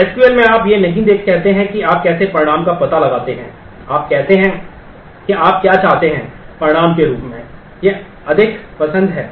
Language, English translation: Hindi, So, in SQL you do not say that how you find out a result, you say what you want as a result, these are more like predicates